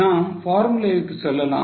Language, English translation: Tamil, We will go to formula